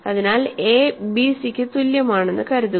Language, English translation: Malayalam, So, suppose we have a is equal to bc